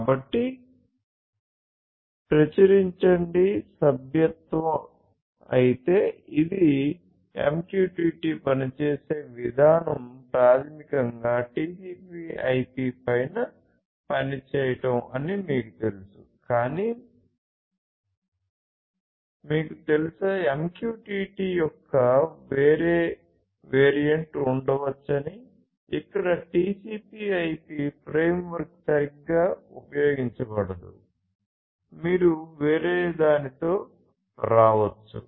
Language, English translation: Telugu, So, Publish/Subscribe, but this you know the way MQTT works is basically to work on top of TCP/IP, but you know you could have a different variant of MQTT, where TCP/IP framework may not be used right; you could come up with something else